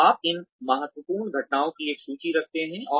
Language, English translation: Hindi, So, you keep a list of these critical incidents